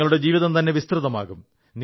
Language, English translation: Malayalam, Your life will be enriched